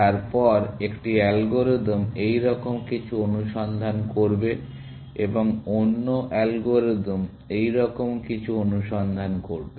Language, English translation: Bengali, Then, one algorithm will search something like this, and the other algorithm will search something like this